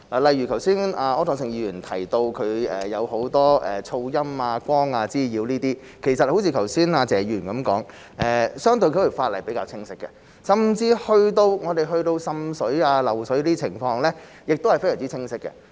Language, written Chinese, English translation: Cantonese, 例如，剛才柯創盛議員提到很多噪音、光滋擾等問題，正如剛才謝議員所說，相關法例是比較清晰的，甚至去到滲水、漏水的情況，法例亦都非常清晰。, For example Mr Wilson OR has just mentioned problems such as noise and light nuisance and as Mr TSE has said earlier the legislation is relatively clear . Even when it comes to water seepage and water leakage the legislation is also very clear